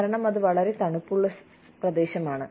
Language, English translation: Malayalam, Because, it is so cold